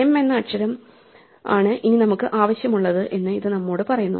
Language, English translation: Malayalam, So this tells us that the letter m is the one we want